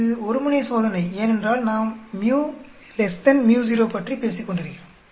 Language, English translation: Tamil, This is one tailed test because we are talking about µ less than µ0